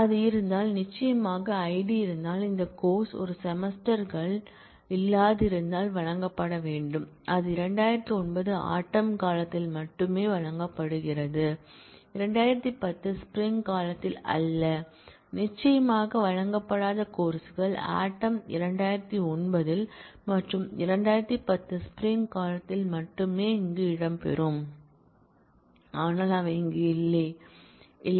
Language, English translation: Tamil, If it is, if the course Id is present, then that course must have been offered in both the semesters if it is not present, then it is offered only in fall 2009, and not in spring 2010 and certainly the courses that were not offered in fall 2009, and only offered in spring 2010 will feature here, but they do not exist here